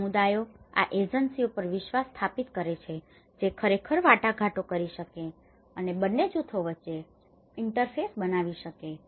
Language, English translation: Gujarati, In that process, what happens is communities establish a trust on these agencies which can actually negotiate and may create an interface between both the groups